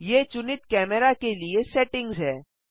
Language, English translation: Hindi, These are the settings for the selected camera